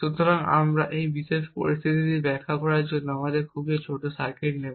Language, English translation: Bengali, So, we will take a very small circuit to explain this particular scenario